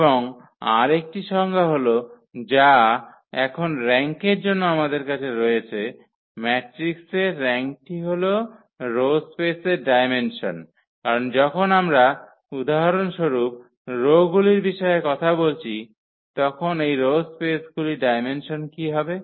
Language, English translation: Bengali, And the another definition which we have now for the rank, the rank of the matrix is the dimension of the row space because when we are talking about the rows for instance, so what will be the dimension of these rows space